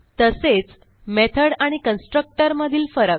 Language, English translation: Marathi, And Differences between method and constructor